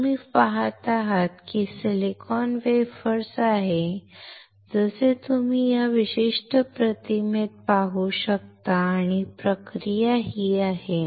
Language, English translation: Marathi, You see this is the silicon wafer, as you can see in this particular image and the process is this